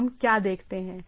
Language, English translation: Hindi, So, what we look at it